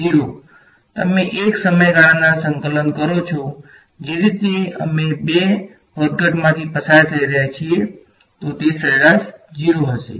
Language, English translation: Gujarati, 0 right you integrate cos 2 omega t over 1 period the way we are undergone 2 fluctuations is average is going to be 0